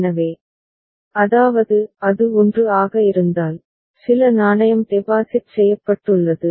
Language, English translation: Tamil, So, that is if it is 1 so, some coin has been deposited